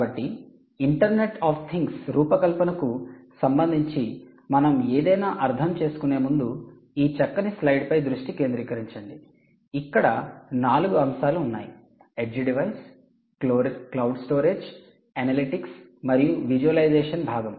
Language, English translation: Telugu, ok, so before we actually get into anything with respect to the design of design for the internet of things, ah, let us just focus on this nice slide that we mentioned, where there are four elements: the edge device, the cloud storage and analytics, analytics and the visualisation part